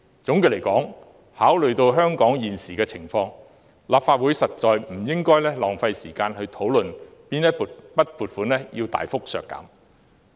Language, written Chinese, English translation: Cantonese, 總的來說，考慮到香港現時的情況，立法會實在不應浪費時間討論大幅削減撥款。, All in all taking into account the current situation in Hong Kong the Legislative Council should really not waste time discussing substantial budget cuts